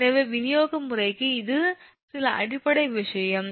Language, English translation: Tamil, so this is some basic thing for distribution system